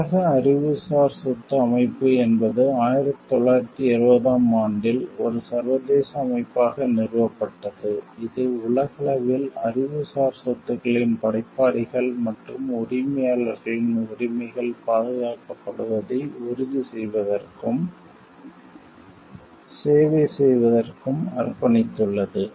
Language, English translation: Tamil, The world intellectual property organization is an organization which is established in 1970 to is an international organization, devoted to serving and ensuring the rights of creators and owners of intellectual property are protected worldwide